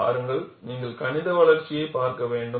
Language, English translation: Tamil, See, you have to look at the mathematical development